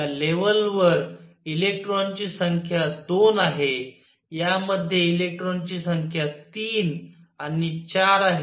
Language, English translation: Marathi, The number of electrons in this level are 2; number of electrons in this is 3 and 4